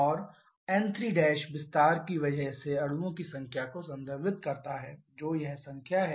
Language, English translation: Hindi, And n 3 prime refers to the number of molecules because of the expansion which is this number